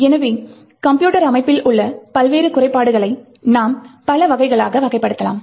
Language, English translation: Tamil, So, we could actually categorise the different flaws in a computer system in multiple categories